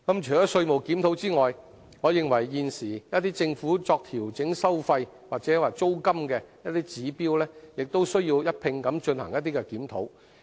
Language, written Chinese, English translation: Cantonese, 除稅務檢討外，我認為現時一些政府作調整收費或租金的指標亦需一併進行檢討。, Apart from a tax review I also consider it necessary to conduct a review at the same time on certain indicators adopted currently by the Government to adjust charges or rents